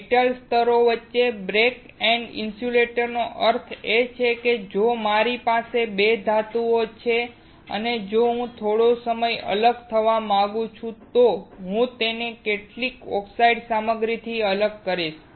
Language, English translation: Gujarati, Backend insulators between metal layers means if I have two metals and I want to have some separation, I will separate it with some oxide material